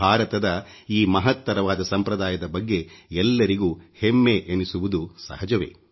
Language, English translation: Kannada, It is natural for each one of us to feel proud of this great tradition of India